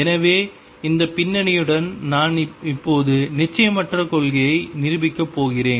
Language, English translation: Tamil, So, with this background I am now going to prove the uncertainty principle